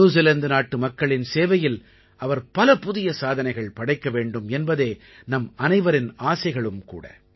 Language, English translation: Tamil, All of us wish he attains newer achievements in the service of the people of New Zealand